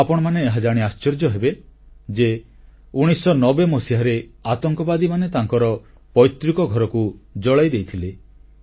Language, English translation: Odia, You will be surprised to know that terrorists had set his ancestral home on fire in 1990